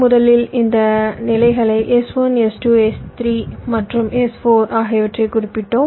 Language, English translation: Tamil, so i call them s one, s two, s three and s four